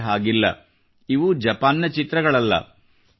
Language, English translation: Kannada, These are not pictures of Japan